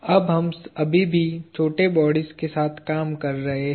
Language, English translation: Hindi, Now, we are still dealing with small bodies